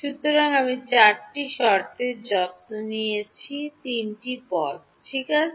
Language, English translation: Bengali, So, I have taken care of all four terms combined into three terms ok